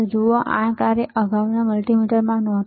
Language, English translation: Gujarati, See, this function was not there in the earlier multimeter